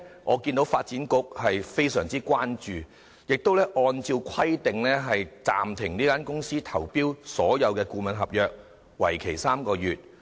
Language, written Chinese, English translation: Cantonese, 我看到發展局非常關注這次事件，並按照規定暫停這間公司投標所有顧問合約，為期3個月。, I note that the Development Bureau is deeply concerned about the incident and the consultancy was suspended from submitting tenders for any consultancy agreement for three months according to the requirements